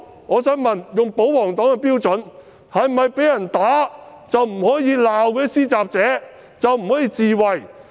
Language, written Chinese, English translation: Cantonese, 我想問，以保皇黨的標準，以後是否被人打便不可以罵施襲者、不可以自衞？, I wish to ask if it is true that from now on a victim of assault can neither scold the attacker nor defend himself according to the standard of the royalist camp